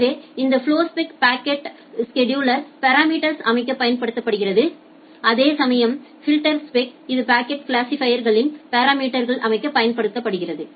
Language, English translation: Tamil, So, this flowspec it is used to set the parameters in the packet scheduler, while as the filterspec it is used to set the parameter in the packet classifier